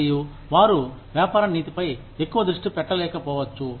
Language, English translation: Telugu, And, they may not be able to focus, so much attention on business ethics